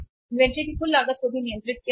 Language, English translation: Hindi, Total cost of inventory will also be controlled